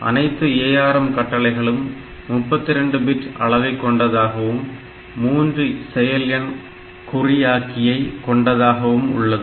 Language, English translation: Tamil, All ARM instructions are 32 bit long and most of them have a regular 3 operand encoding